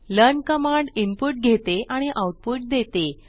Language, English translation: Marathi, learn Command can takes input and returns output